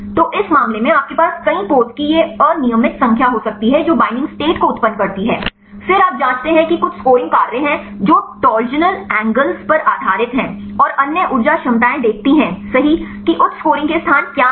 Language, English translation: Hindi, So, this case you can have a random number of many poses right that generate the binding states, then you check there are some scoring functions based on torsional angles and the other energy potentials right see what are the locations of high scoring